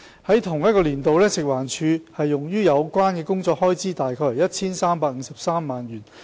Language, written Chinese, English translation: Cantonese, 在同年度，食環署用於有關工作的開支為 1,353 萬元。, In the same year the expenditure of FEHD on related work was about 13.53 million